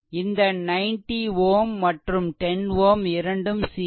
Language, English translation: Tamil, So, this i 1 current this is 90 ohm and 10 ohm both are in series